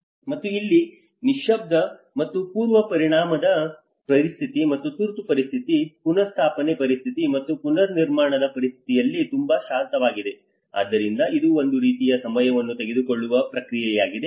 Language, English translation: Kannada, And here is very quiet and calm in the quiescence and pre impact situation and the emergency situation, restoration situation and the reconstruction situation you know so this is a kind of time taking process